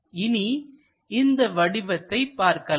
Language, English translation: Tamil, Let us look at this object